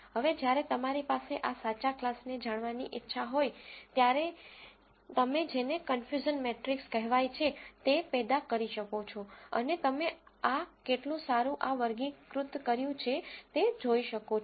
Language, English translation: Gujarati, Now, when you have this luxury of knowing the true classes, you can generate what is called confusion matrix and see how well you have classified this performing